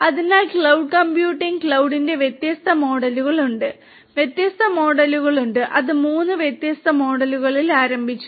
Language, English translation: Malayalam, So, cloud computing; there are different models of cloud, there are different; different models, it started with three different models